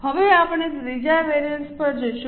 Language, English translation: Gujarati, Now we will go to the third variance